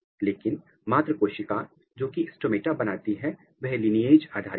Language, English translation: Hindi, But, the mother cell which is responsible for the stomata it is lineage dependent